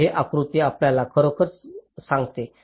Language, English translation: Marathi, so this diagram actually tells you that